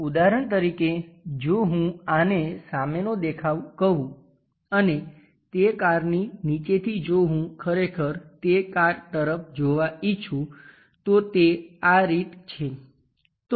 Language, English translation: Gujarati, For example if I am calling this one as a front view and from bottom of that car if I want to really look at that car turns out to be in that way